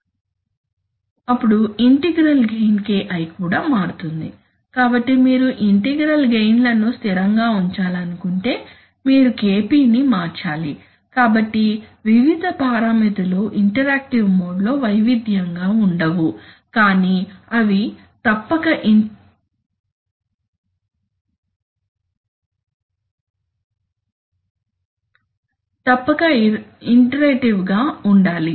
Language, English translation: Telugu, Then the integral gain KI also changes, so whenever you change KP if you want to keep the integral gain constant you have to also change Ki, so the various parameters cannot be varied in a non interactive mode but they must they will be interacting okay